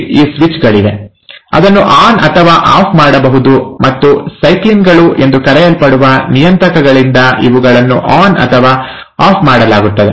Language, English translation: Kannada, There are these switches, which can be turned on or turned off, and these are turned on or turned off by regulators which are called as ‘cyclins’